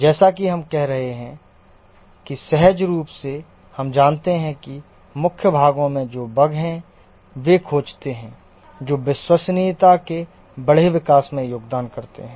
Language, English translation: Hindi, As you are saying that intuitively, we know that the bugs that are there and the non core part of the software get detected and these contribute to lower increase in reliability